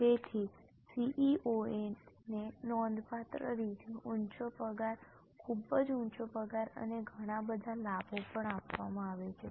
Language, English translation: Gujarati, So, CEO is given substantially high salary, a very high salary and also a lot of perks